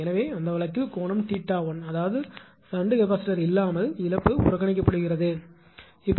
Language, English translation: Tamil, So, in that case angle is theta 1; that is without shunt capacitor, loss is neglected loss is not there